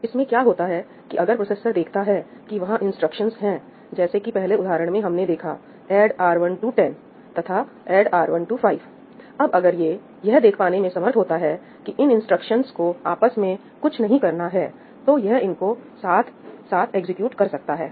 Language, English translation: Hindi, What happens in this is that, the processor, if it determines that there are instructions like in the previous example we saw ‘add R1 10’ and ‘add R2 5’ so, if it is able to figure out that these instructions are nothing to do with each other, then it can actually execute them both in parallel